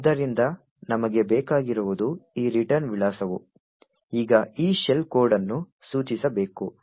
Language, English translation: Kannada, So, what we want is that this return address should now point to this shell code